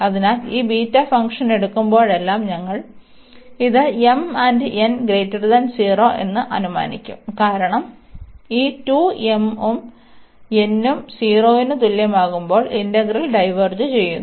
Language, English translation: Malayalam, So, whenever we will be taking these beta this beta function, we will assume this m and n greater than 0, because the integral diverges when these 2 m and n are less than equal to 0